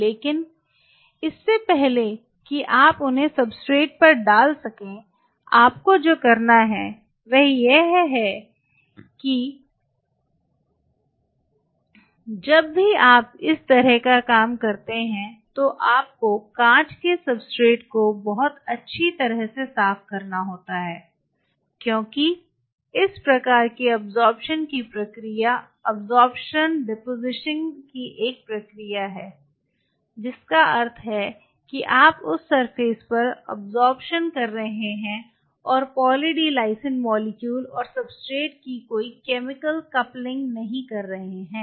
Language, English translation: Hindi, What you have to do is you have to really clean the glass substrate very thoroughly whenever you do this kind because these kind of it is precisely a process of absorption depositing essentially means you are absorbing on the surface you are not doing any chemical coupling of the Poly D Lysine molecule on the substrate